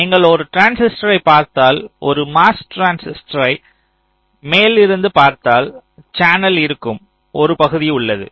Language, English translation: Tamil, now, if you look at a transistor, say from a top view, a mos transistor, there is a region which is the channel